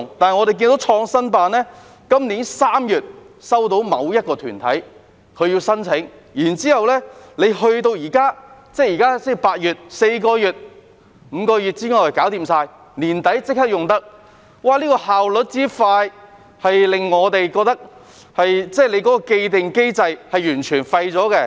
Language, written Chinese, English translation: Cantonese, 但是，創新辦在今年3月收到某一個團體的申請，到了現在8月，才4個月、5個月便已全部完成，年底已經可以使用，效率之快令我們認為有關的既定機制完全是廢的。, On the other hand PICO received an application from a certain organization in March this year and in just four or five months the process is now completed in August and the place will be ready for use by the end of this year . The high efficiency makes us think that the established mechanism is totally useless